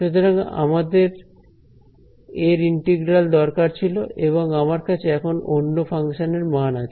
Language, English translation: Bengali, So, I wanted the integral of this guy and I am somehow left with the value of some other function only ok